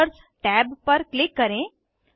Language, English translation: Hindi, Click on Markers tab